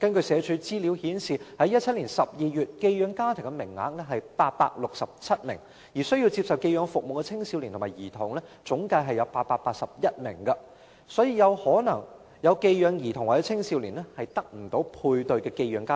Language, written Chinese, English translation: Cantonese, 社署的資料顯示，截至2017年12月，寄養家庭的名額為867個，而需要接受寄養服務的青少年及兒童共有881名，所以一些需要寄養服務的兒童或青少年可能無法配對寄養家庭。, For some others because of the Comprehensive Social Security Allowance they may not be abandoned but their parents cannot truly take care of them . Data of SWD show that as at December 2017 there were 867 places of foster care homes and 881 teenagers and children in need of foster care services . Therefore some children or teenagers in need of foster care services may not be placed in a foster care home